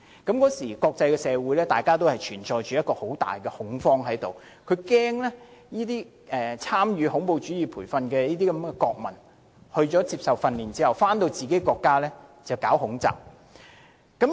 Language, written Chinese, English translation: Cantonese, 當時國際社會存在很大恐慌，害怕曾參與恐怖主義培訓的國民在接受訓練後，回國發動恐襲。, Countries all over the world feared that their nationals would return to their own country and initiate terrorist attacks after receiving terrorist training overseas